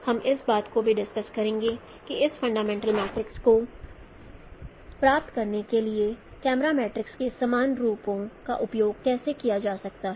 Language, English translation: Hindi, We will also discuss that how a general forms of camera matrices can be also used for deriving this fundamental matrix